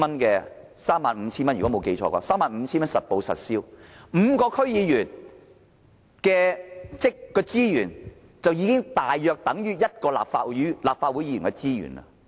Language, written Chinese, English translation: Cantonese, 如果我沒記錯，我們還有 35,000 元實報實銷的津貼 ，5 名區議員的資源合計大約等於一名立法會議員的資源。, If my memory has not failed me we are also entitled to an additional accountable allowance amounting to 35,000 . The resources of five DC members roughly equal to that of a Member of the Legislative Council